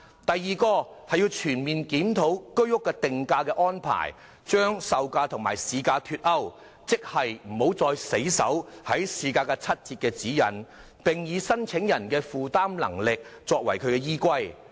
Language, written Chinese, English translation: Cantonese, 第二，全面檢討居屋的定價安排，容許售價與市價脫鈎，即不再死守市價七折的指引，而以申請人的負擔能力作為依歸。, Second to conduct a comprehensive review of the pricing arrangements for HOS flats and allow the unpegging of HOS prices from market prices . In other words the 30 % off guideline will not be adhered to strictly and the affordability of applicants will be taken into account instead